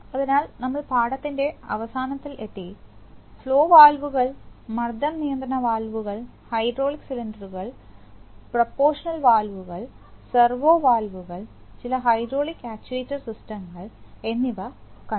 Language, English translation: Malayalam, So we have come to the end of the lesson, we have seen flower pressure and control valves we have seen hydraulic cylinders, proportional valves servo valves and some hydraulic actuation systems